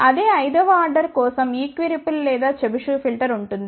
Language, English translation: Telugu, Whereas for the same fifth order that equi ripple or Chebyshev filter